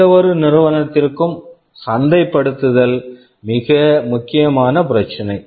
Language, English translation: Tamil, So, marketing is the most important issue for any company